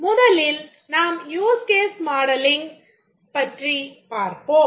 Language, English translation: Tamil, Let's first look at the use case modeling